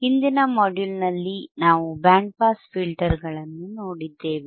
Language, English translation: Kannada, And iIn the last module, what we have seen we haved seen the Band Pass Filters right